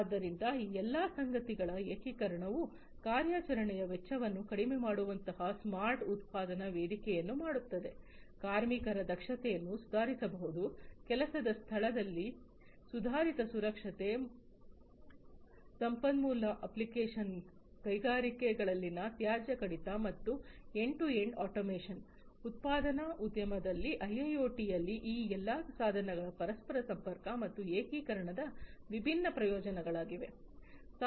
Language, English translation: Kannada, So, together the integration of all of these things would make a smart manufacturing platform that will provide reduction in operational costs, efficiency of the workers can be improved, improved safety at the workplace, resource optimization, waste reduction in the industries, and end to end automation these are all the different benefits of interconnection and integration of all these devices in IIoT in the manufacturing industry